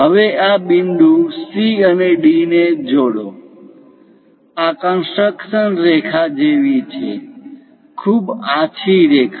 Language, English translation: Gujarati, Now, join these points C and D; these are more like construction lines, very light lines